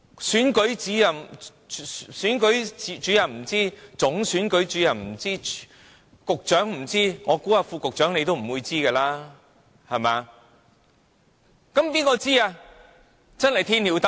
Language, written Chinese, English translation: Cantonese, 選舉主任不知道，總選舉主任也不知道，局長不知道，我猜副局長你也不會知道，對不對？, The Electoral Officer did not know why nor did the Chief Electoral Officer and the Secretary . And I suppose you the Under Secretary do not know why either . Am I right?